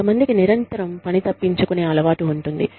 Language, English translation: Telugu, Some people are constantly in the habit of, missing work